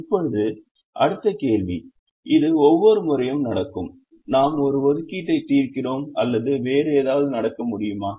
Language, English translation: Tamil, now the next question is: will this happen every time we solve an assignment problem or can something else happen